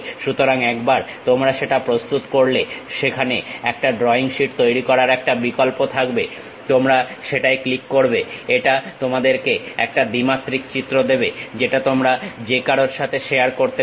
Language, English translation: Bengali, So, once you prepare that there is option to make drawing sheet, you click that it gives you two dimensional picture which you can easily share it with anyone